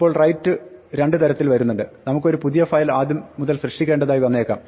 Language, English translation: Malayalam, Now, write comes in two flavors, we might want to create a new file from scratch